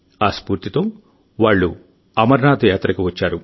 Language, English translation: Telugu, They got so inspired that they themselves came for the Amarnath Yatra